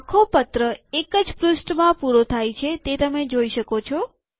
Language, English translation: Gujarati, You can see that the whole letter has come to one page